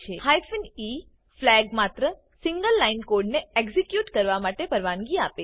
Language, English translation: Gujarati, The hyphen e flag allows only a single line of code to be executed